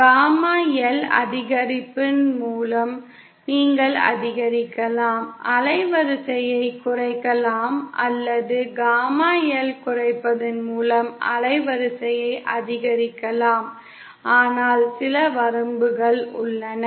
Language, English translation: Tamil, You can increase, decrease the band width by increasing gamma L or by decreasing gamma L you can increase the band width, But there are some limitations